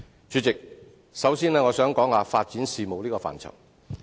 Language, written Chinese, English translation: Cantonese, 主席，首先我想談談發展事務這個範疇。, President first of all I would like to talk about the policy area of development